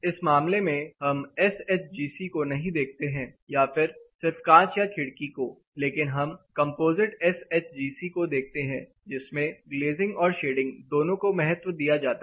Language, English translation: Hindi, So, for this case, we do not look at SHGC or just the glass of the window alone, but we will look at something called the composite SHGC, where the glazing and shading together is accounted for